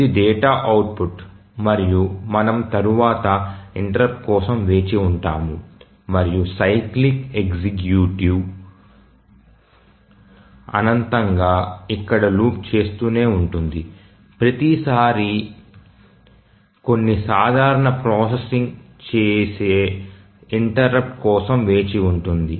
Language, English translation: Telugu, And then wait for the next interrupt and the cyclic executive continues looping here infinitely each time waiting for the interrupt doing some simple processing